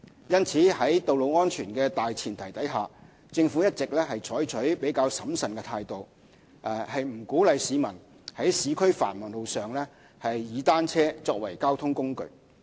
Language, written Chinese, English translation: Cantonese, 因此，在道路安全的大前提下，政府一直採取較審慎的態度，不鼓勵市民在市區繁忙路上以單車作為交通工具。, Owing to road safety considerations the Government has all along been adopting a prudent approach and does not encourage the public to use bicycles as a mode of commuting on busy roads in the urban areas